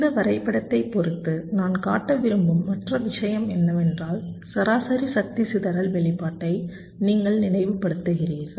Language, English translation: Tamil, ok, and the other thing i want to also show with respect to this diagram is that you see, you recall the average power dissipation expression